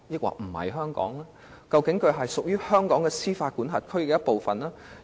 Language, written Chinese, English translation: Cantonese, 那麼，口岸區是否仍屬於香港和香港司法管轄區的一部分呢？, In that case is MPA still considered to be part of Hong Kong and the Hong Kong jurisdiction?